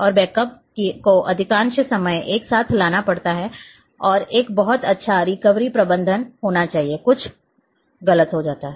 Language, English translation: Hindi, And the backup has to be taken most of the time it is simultaneously and there should be a very good recovery management, something goes wrong